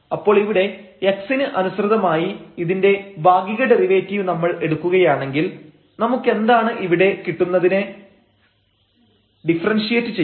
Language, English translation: Malayalam, So, here when we take the partial derivative of this with respect to x so, what we will get here we have to differentiate